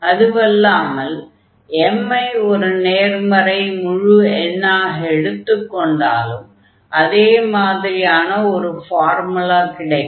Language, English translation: Tamil, And, we can do the same similar calculations when m is a positive integer and in that case also we will get a similar result